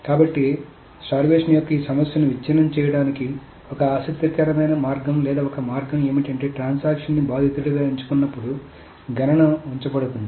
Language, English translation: Telugu, So one interesting way or one way of breaking this problem of starvation is that when a transaction is chosen as a victim, a count is kept